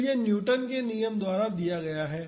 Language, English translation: Hindi, So, that is given by Newton’s law